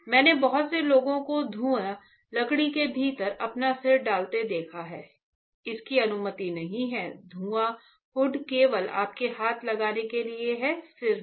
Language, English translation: Hindi, I have seen lot of people putting their head within the fume wood, it is not allowed fume hood is meant only to put your hands not your head